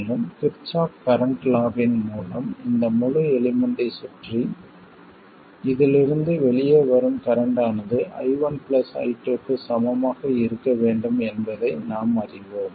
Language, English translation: Tamil, And by Kirchkhov's current law around this entire element we know that the current coming out of this has to be equal to I1 plus I2